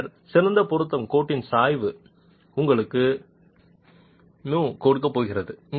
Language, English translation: Tamil, The slope of this best fit line is going to give you mu